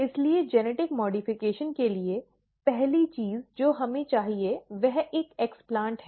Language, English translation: Hindi, So, for genetic modification, the first thing that we need is an explant